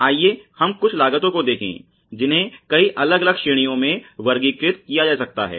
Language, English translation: Hindi, Let us look at some of the costs which can be categorized into many different categories